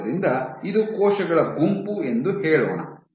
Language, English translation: Kannada, So, let us say this is a group of cells